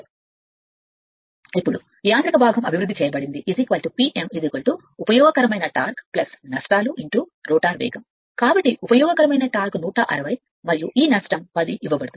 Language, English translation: Telugu, Now mechanical part developed is equal to P m is equal to useful torque plus losses into rotor speed, so useful torque is 160 and this loss is given 10